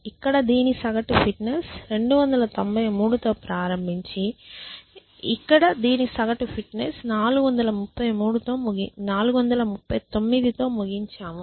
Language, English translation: Telugu, So, we started with this whose average fitness was 293 and we ended up with this whose average fitness is 439 essentially